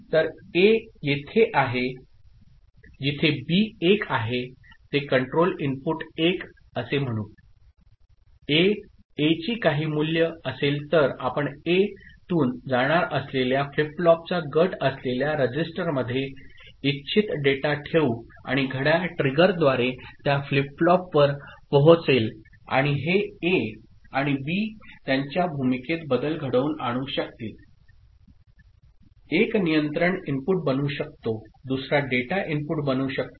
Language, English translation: Marathi, So, at A is where B is 1 say the control input is 1 then, A, whatever is the value of A, the data that you want to put in the registers that is group of flip flops that will be passed through A and will get to those flip flops through clock trigger and this A and B they can interchange their role; one can become the control input the other can become the data input